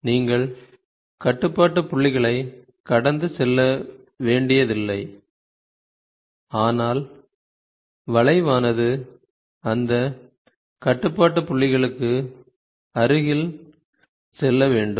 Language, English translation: Tamil, So, you do not have to pass through it, but these control points, the curve has to go close to those control points